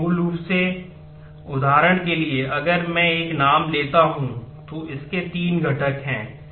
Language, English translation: Hindi, So, flattening basically is for example, if I take a name it has 3 components